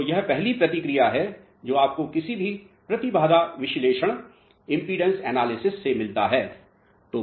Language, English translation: Hindi, So, this is the first response which you get by conducting any impedance analysis